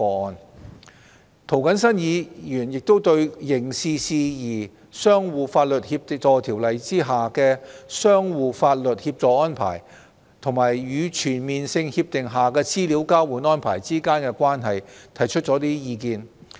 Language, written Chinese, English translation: Cantonese, 另外，涂謹申議員亦對《刑事事宜相互法律協助條例》下的相互法律協助安排，與全面性協定下的資料交換安排之間的關係，提出了一些意見。, In addition Mr James TO has also presented some views on the relationship between the mutual legal assistance arrangements under the Mutual Legal Assistance in Criminal Matters Ordinance and the exchange of information arrangements under CDTAs